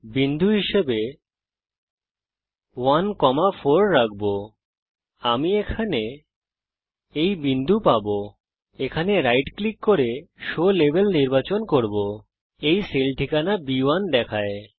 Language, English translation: Bengali, And similarly I will in column B I will 1,4 as a point I get this point here I can right click and say show label it shows B1 the cell address